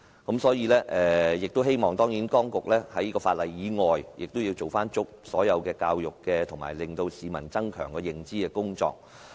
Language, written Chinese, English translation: Cantonese, 我希望當局在修訂法例以外，做足所有教育及增強市民認知的工作。, Apart from making legislative amendments I hope the authorities will spare no effort in educating the public and enhancing their awareness